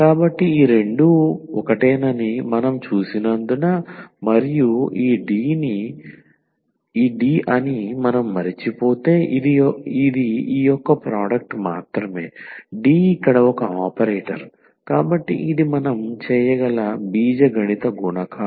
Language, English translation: Telugu, So, and because we have seen that these two are same and this is just the product of this one if we forget that these D; D is an operator here, so we can simply algebraic multiplication we can do